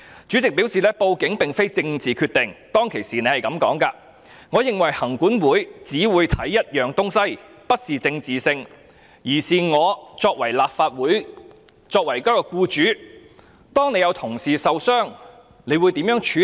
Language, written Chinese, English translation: Cantonese, 主席表示報案並非政治決定，他當時是這樣說的："我認為行管會只會看一件事，這不是政治性，而是我作為一名僱主，當有同事受傷時，我會如何處理。, What he said at the time was this I think LCC will only look at the matter itself . It is not political in nature . It is about how I being an employer will handle it when a colleague is injured